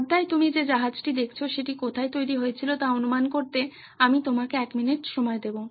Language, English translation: Bengali, I will give you a minute to guess where the ship that you see on the screen was made